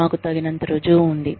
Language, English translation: Telugu, We have enough proof